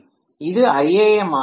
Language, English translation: Tamil, This will be iam